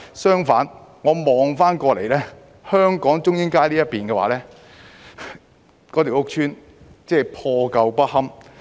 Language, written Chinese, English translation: Cantonese, 相反，我看到香港的中英街的屋邨破舊不堪。, On the contrary the housing estate on the Hong Kong side of Chung Ying Street was dilapidated